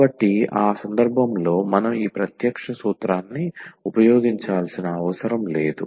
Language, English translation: Telugu, So, we do not have to use this direct formula in that case